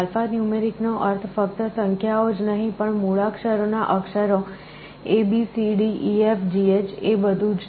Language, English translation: Gujarati, Alphanumeric means not only the numbers, but also alphabetic characters abcdefgh everything